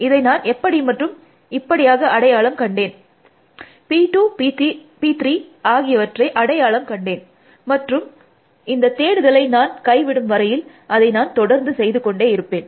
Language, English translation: Tamil, I find this, then again like this, I find P 2 P 3, and I keep doing that, till when will I stop doing this search